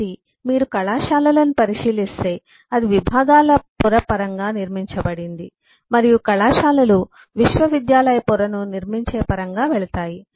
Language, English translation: Telugu, so if you look at colleges then it is built in terms of the layer of departments and colleges go in terms of building the university layer